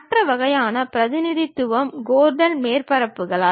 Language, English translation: Tamil, The other kind of representation is by Gordon surfaces